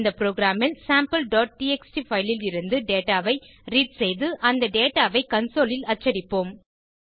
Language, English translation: Tamil, In this program we will read data from our sample.txt file and print the data on the console